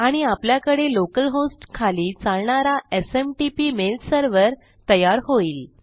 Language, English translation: Marathi, And you will have a SMTP mail server running under local host